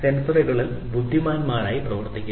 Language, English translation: Malayalam, They are working on making sensors intelligent